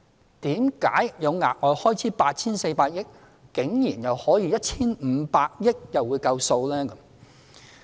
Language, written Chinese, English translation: Cantonese, 為何企業有額外開支 8,400 億元，但 1,500 億元竟然又會足夠？, When the annual contribution of 6 billion times 25 is 150 billion why will the enterprises have to bear an extra cost of 840 billion while 150 billion will be sufficient to pay the expenses?